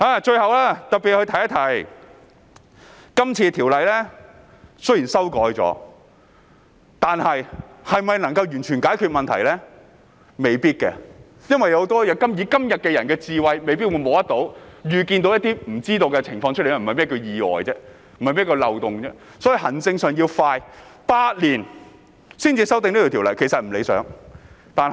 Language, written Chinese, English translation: Cantonese, 最後提一下，雖然今次修改了條文，但未必能完全解決問題，因為我們今天的智慧未必能摸索或預見一些無法預知的情況，否則便不會說是意外、漏洞，所以行政上要做得快，要8年才修訂有關條例並不理想。, Lastly I would like to mention that despite the amendment of the provision this time around the problem may not be solved completely for with the wisdom we have today we may not be able to find out or foretell certain unforeseeable conditions otherwise we would not call them accidents and loopholes . Hence administrative work has to be done swiftly . Taking eight years to propose the legislative amendment is undesirable